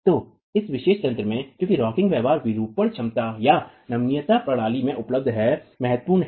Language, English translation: Hindi, So, in this particular mechanism, because of the rocking behavior, deformation capacities or the ductility that is available in the system is significant